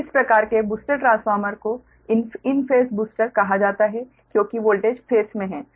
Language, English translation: Hindi, so this type of booster transformer is called an in phase booster because the voltage are in phase, so v a n does can be adjusted by